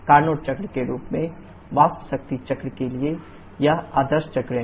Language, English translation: Hindi, This is the ideal cycle for a vapour power cycle in the form of Carnot cycle